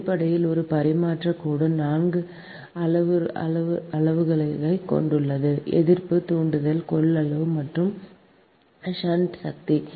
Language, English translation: Tamil, actually we have told three parameters for resistance, ah, inductance capacitance and shunt conductance